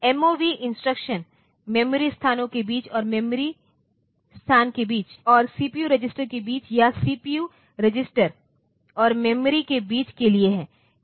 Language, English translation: Hindi, And so, MOV instruction is for between memory locations, and between memory location and from between CPU registers or CPU register and memory